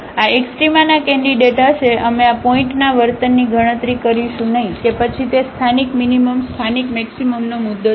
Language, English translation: Gujarati, This will be the candidates for the extrema; we will not compute the behavior of this point whether it is a point of local minimum local maximum